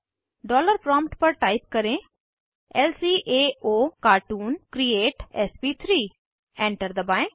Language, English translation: Hindi, At the dollar prompt type lcaocartoon create sp3 Press Enter